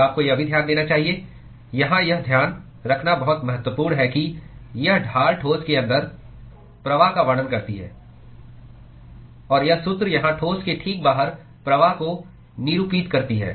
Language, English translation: Hindi, And also you should note it is very important to note here that this gradient describes the flux inside the solid; and this formula here represents the flux just outside the solid